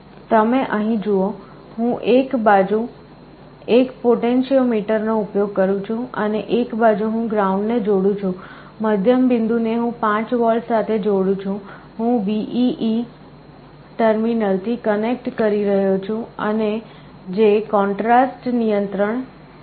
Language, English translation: Gujarati, You see here, I am using a potentiometer on one side, I am connecting ground on one side, I am connecting 5 volt the middle point, I am connecting to the VEE terminal that is the contrast control